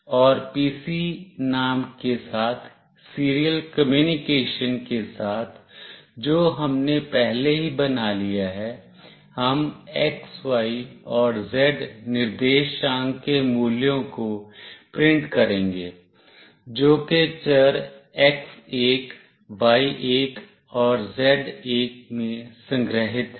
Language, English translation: Hindi, And with the serial communication with the name “pc” that we have already made, we will print the values of the x, y and z coordinate, which is stored in variables x1, y1 and z1